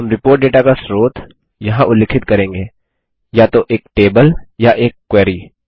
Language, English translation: Hindi, We will specify the source of the report data here: either a table or a query